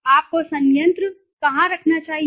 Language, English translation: Hindi, Where should you place the plant